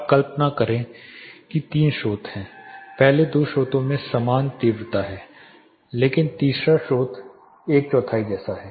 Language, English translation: Hindi, Now, imagine there are 3 sources first two sources have the same intensity, but the third source is almost like one quarter